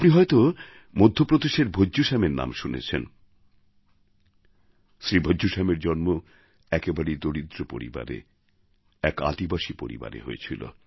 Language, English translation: Bengali, You must have heard the name of Bhajju Shyam of Madhya Pradesh, Shri Bhajju Shyam was born in a very poor tribal family